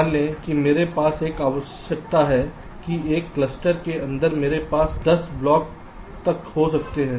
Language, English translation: Hindi, lets say, suppose i have a requirement that inside a cluster i can have upto ten blocks, and suppose i have a set of blocks to place